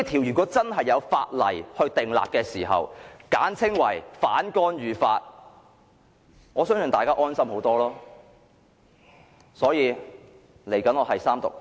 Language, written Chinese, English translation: Cantonese, 如果政府可以就此制定一項簡稱為"反干預法"的條例，我相信大家會更感安心。, I believe the Governments enactment of an ordinance called Anti - interference Law in short can better put peoples mind at ease